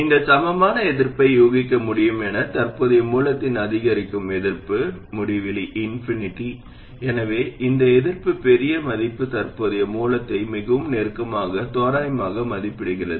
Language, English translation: Tamil, And as you can guess the equivalent resistance, the incremental resistance of a current source is infinity, so the larger the value of this resistance, the more closely it approximates a current source